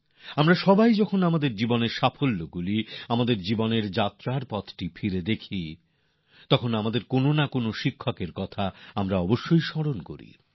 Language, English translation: Bengali, Whenever we think of the successes we have had during the course of our lifetime, we are almost always reminded of one teacher or the other